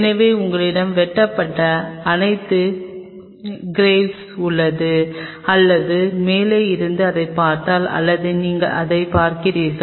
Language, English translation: Tamil, So, you have all the groves which are cut there or if you see it from the top something like this, or you were seeing it like this